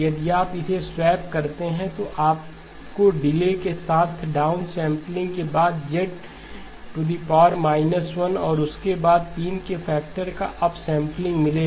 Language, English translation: Hindi, If you swap it, then you will get the delay for down sampling followed by Z inverse followed by up sampling by a factor of three